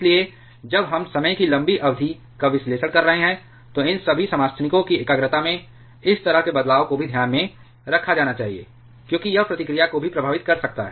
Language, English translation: Hindi, So, when we are analyzing over a long period of time, such changes in the concentration of all these isotopes should also be need to be taken into consideration, because that can affect the reactivity as well